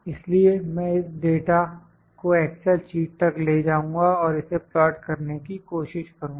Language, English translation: Hindi, So, I will take this data to the excel sheet and try to plot it